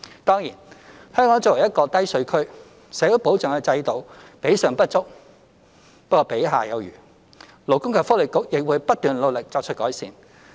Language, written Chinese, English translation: Cantonese, 當然，香港作為一個低稅區，社會保障的制度比上不足，比下有餘，勞工及福利局亦會不斷努力作出改善。, Of course Hong Kong is a low - tax regime and yet our social security system is not inferior to its counterparts . The Labour and Welfare Bureau will continue to work hard for improvement